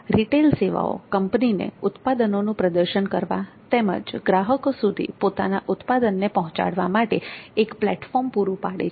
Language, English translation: Gujarati, Retail services provide a platform to the company to showcase their products and maximize their reach